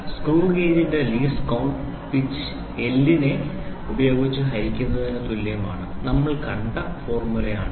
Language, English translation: Malayalam, So, the least count LC of the screw gauge is equal to pitch by L we saw the formula